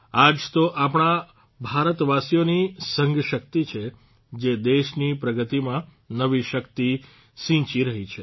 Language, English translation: Gujarati, This is the collective power of the people of India, which is instilling new strength in the progress of the country